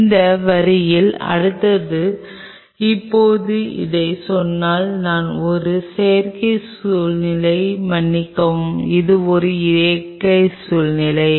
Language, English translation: Tamil, Next in that line now having said this I will take a synthetic situation sorry a natural situation